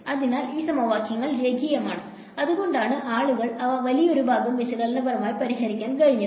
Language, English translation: Malayalam, So, these equations are linear and that is why people were able to solve them analytically for a large part